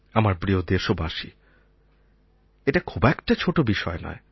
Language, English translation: Bengali, My dear fellow citizens, this is not a small matter